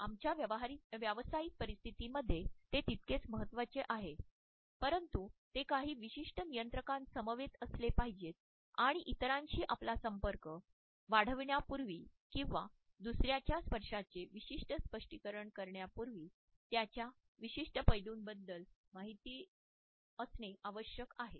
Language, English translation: Marathi, It is equally important in our professional settings but it should come with certain moderators and we should be aware of certain filters before either extending our touch to other human beings or before looking at a particular interpretation of the touch of another human being